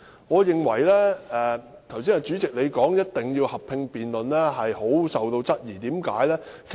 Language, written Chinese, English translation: Cantonese, 我十分質疑主席剛才說一定要進行合併辯論的理據。, I have serious doubt about the justification given by the President earlier about the need to conduct a joint debate